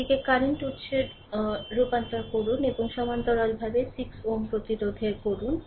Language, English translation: Bengali, You convert it to a current source and in parallel you put 6 ohm resistance